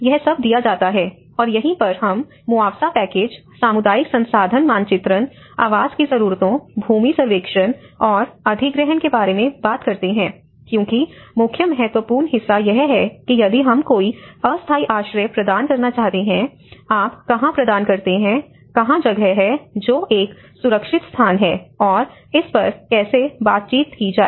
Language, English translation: Hindi, So, all this part has to be given and this is where we talk about compensation packages, rapid mapping exercises with community resource mapping, housing needs, land survey and acquisition because the main important part is here that if we want to provide any temporary shelter, where do you provide, where is the space, which is a safe place and how to negotiate it